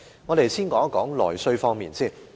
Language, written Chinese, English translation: Cantonese, 我們先談談內需方面。, Let us talk about internal demand first